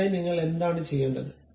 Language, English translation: Malayalam, For that purpose what I have to do